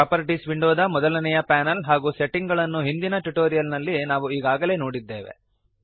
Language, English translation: Kannada, We have already seen the first panel of the Properties window and the settings in the previous tutorial